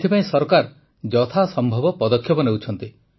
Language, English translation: Odia, For this, the Government is taking all possible steps